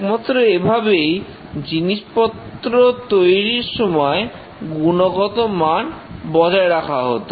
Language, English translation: Bengali, This was the only way that quality was used in manufacturing